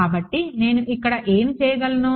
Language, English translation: Telugu, So, what can I do over here